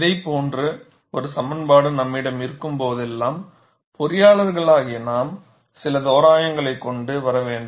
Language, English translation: Tamil, See, whenever we have an expression like this, as engineers we have to bring in certain approximations